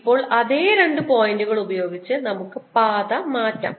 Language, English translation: Malayalam, now let's change the path with the same two points